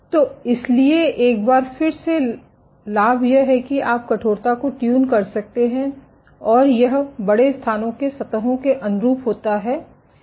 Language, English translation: Hindi, So, once again advantages you can tune the stiffness and it conforms to surfaces over large areas